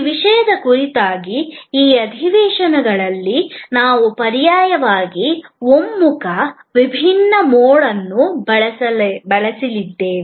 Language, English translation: Kannada, In this series of sessions on this topic, we are going to use alternately convergent, divergent mode